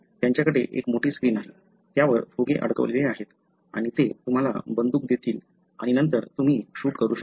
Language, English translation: Marathi, They have a huge screen, balloons, stuck to that and they will give you a gun and then, you can shoot